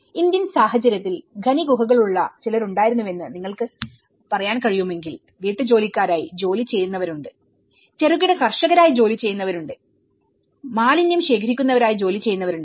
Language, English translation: Malayalam, In Indian context, if you can say there was some people who place with mine caves, there people who was working as a housemaids, there are people who are working as a small farmers, there people who are working as a garbage collectors